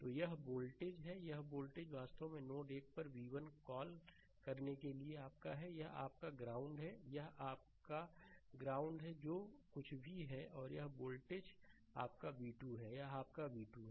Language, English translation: Hindi, So, this voltage; this voltage actually your your what to call v 1 at node 1, this is your ground this is your ground whatever it is right and this voltage is your v 2, right, this is your v 2